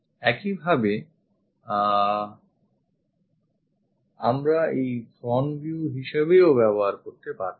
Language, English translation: Bengali, Similarly, we could have used front view in that direction also